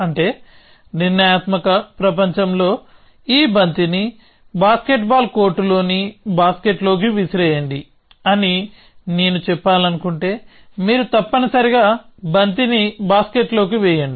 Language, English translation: Telugu, So, which means in a deterministic world, if I want to say throw this ball into the basket on a basket ball court, then you put ball into the basket essentially